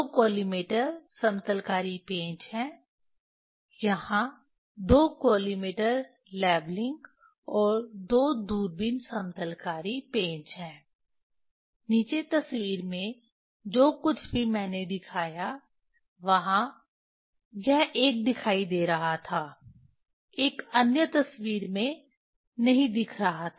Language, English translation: Hindi, Two collimator leveling screws, there are two collimator leveling and two telescope leveling screws are there below the in picture whatever I showed this one was seen, another one was not seen in the picture